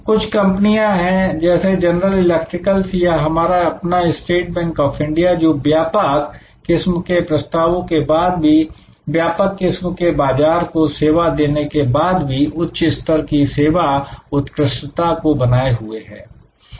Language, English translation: Hindi, There are companies like general electric or even our own State Bank of India, who have been able to maintain high level of service excellence in spite of their wide variety of offerings, in spite of the wide variety of markets they serve